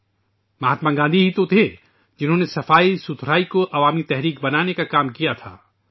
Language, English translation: Urdu, It was Mahatma Gandhi who turned cleanliness into a mass movement